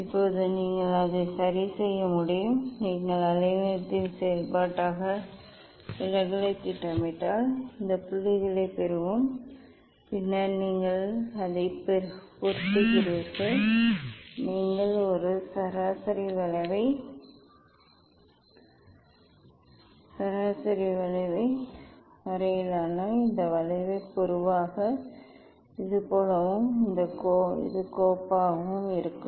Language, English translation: Tamil, Now, you can plot it ok, if you plot deviation as a function of wavelength see we will get this points and then you fit it just you draw a mean curve this curve generally it will be like this and also this file